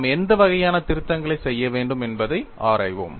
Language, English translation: Tamil, Then we will investigate what kind of corrections that we need to make